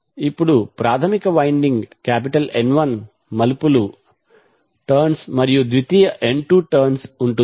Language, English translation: Telugu, Now primary winding is having N 1 turns and secondary is having N 2 turns